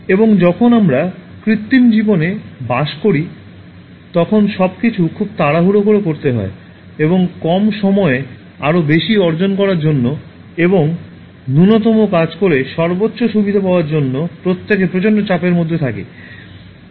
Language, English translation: Bengali, And when we live in artificial life, everything has to be done in great hurry and everybody lives under enormous pressure to achieve more in less time and for getting maximum benefit by doing minimum work